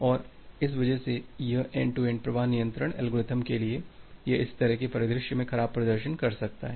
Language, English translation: Hindi, And because of that this end to end flow control algorithm, it may perform poorly in this kind of scenario